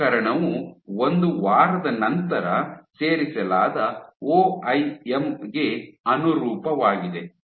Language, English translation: Kannada, So, this case corresponds to OIM added after 1 week